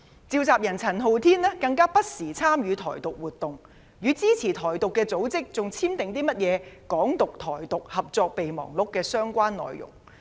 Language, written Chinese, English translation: Cantonese, 召集人陳浩天更不時參與"台獨"活動，與支持"台獨"組織討論簽訂"港獨"、"台獨"合作備忘錄的相關內容。, Andy CHAN its convenor has even participated in Taiwan independence activities from time to time and discussed with organizations in support of Taiwan independence details of a memorandum of cooperation between activists of Hong Kong independence and Taiwan independence